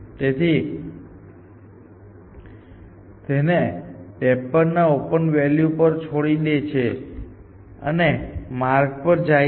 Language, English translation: Gujarati, So, it leaves it to the open value of 53 and goes down this path essentially